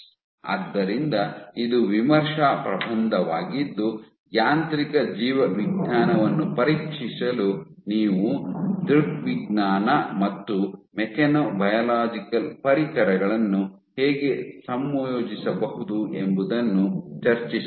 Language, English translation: Kannada, So, this is a review paper which discusses how you can combine optics and mechanobiological tools for probing mechanobiology